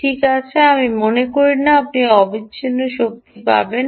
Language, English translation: Bengali, well, i dont think, ah, you will get continuous power